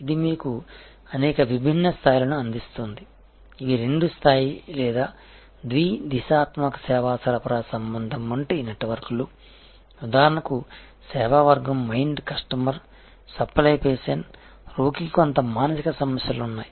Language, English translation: Telugu, this gives you number of different these are two level or bidirectional service supply relationship are networks like for example, service category mind customer supply patient, so the patient is disturbed there is some kind of mental acne